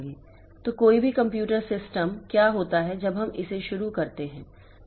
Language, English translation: Hindi, So, any computer system what happens when we start it up